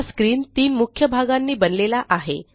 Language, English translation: Marathi, This screen is composed of three main sections